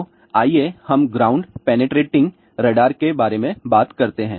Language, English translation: Hindi, So, let us talk about ground penetrating radar